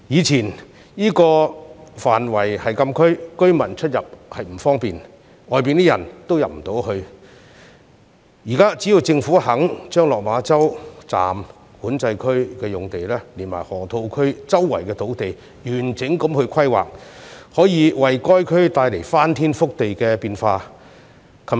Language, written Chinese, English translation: Cantonese, 這個範圍以前是禁區，居民出入不便，外人亦難以進入，但現在只要政府肯就落馬洲站、管制區用地及河套區四周土地進行完整規劃，便可為該區帶來翻天覆地的變化。, The place used to be part of the frontier closed area and it is difficult to access for both local residents and outsiders . However as long as the Government is willing to map out a complete planning for the lands in Lok Ma Chau Station and Control Point as well as the surrounding land of the Loop earth - shaking changes may take place in the entire area